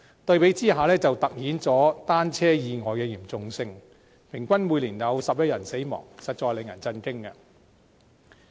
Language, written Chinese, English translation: Cantonese, 對比之下，便凸顯出單車意外的嚴重性，平均每年有11人死亡，實在令人震驚。, A comparison can show the seriousness of bicycle accidents . On average 11 people are killed every year . This is indeed a shock to us